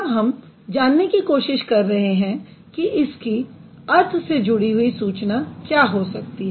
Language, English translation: Hindi, Then we are trying to figure out what could be the semantic information associated with it